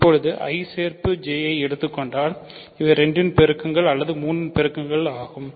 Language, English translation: Tamil, So now, if you take I union J these are integers which are multiples of 2 or multiples of 3